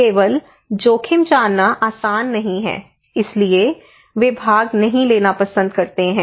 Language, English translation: Hindi, That if I do not know only knowing the risk is not easy, so they prefer not to participate